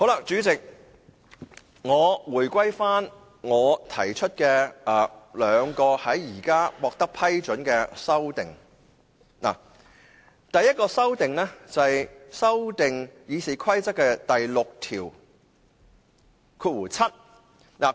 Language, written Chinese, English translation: Cantonese, 主席，關於我提出的兩項現時獲得批准的修正案，第一項修正案是修改《議事規則》第67條。, President concerning my two amendments which have been approved the first amendment is proposed to amend Rule 67 of the Rules of Procedure RoP